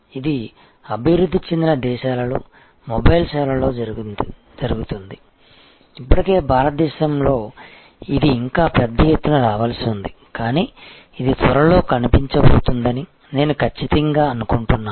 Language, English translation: Telugu, This happens in mobile services in developed countries, already an India it is yet to come in a big way, but I am sure it will be soon in appearing